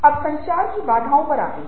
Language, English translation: Hindi, that's the barrier to communication